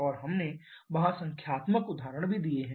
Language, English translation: Hindi, And we have done numerical examples there also